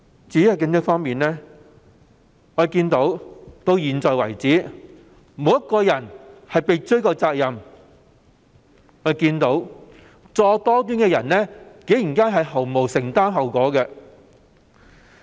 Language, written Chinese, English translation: Cantonese, 至於警隊方面，我們看到迄今為止，沒有任何一位人員被追究責任，作惡多端的人竟然不用承擔後果。, Regarding the Police Force as we have seen so far no one has been held accountable meaning that those who repeatedly engaged in evil deeds need not bear the consequences